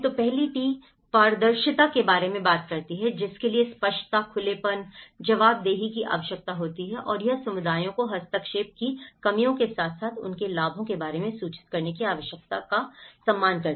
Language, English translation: Hindi, The first T talks about the transparency which requires clarity, openness, accountability and it respects a need for communities to be informed about the drawbacks of interventions as well as their benefits